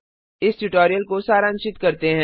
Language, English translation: Hindi, Lets summarize the tutorial